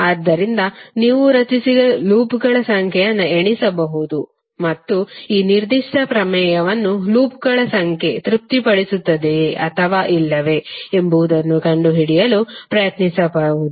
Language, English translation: Kannada, So you can count number of loops which you have created and try to find out whether number of loops are satisfying this particular theorem or not